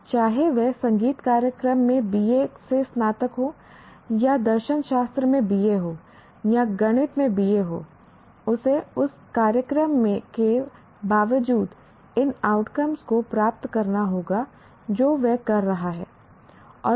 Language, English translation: Hindi, That it what may, irrespective whether is a graduate from a BA in music program or a BA in philosophy or BA in mathematics, he must attain these outcomes, irrespective of the program that is going through